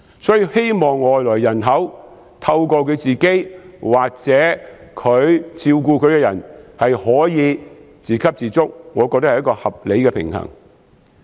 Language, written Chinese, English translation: Cantonese, 所以，希望外來人口可以透過自己或照顧者做到自給自足，我認為是合理的平衡。, Therefore I believe that the prospect of the inbound population being self - sufficient by relying on themselves or their carers is a reasonable balance